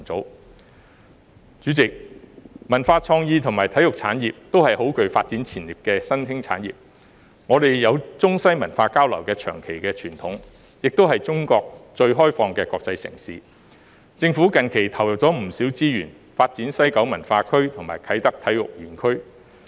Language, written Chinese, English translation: Cantonese, 代理主席，文化創意和體育產業也是很具發展潛力的新興產業，我們有中西文化交流的長期傳統，也是中國最開放的國際城市，政府近期投入不少資源，發展西九文化區和啟德體育園區。, Deputy President cultural creative and sports industries are the emerging industries with great development potentials . We have the long - standing tradition of Chinese - Western cultural exchange and Hong Kong is also the most open international city of China . Recently the Government injected not a few resources in the development of West Kowloon Cultural District and Kai Tak Sports Park